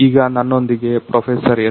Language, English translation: Kannada, So, I have with me Professor S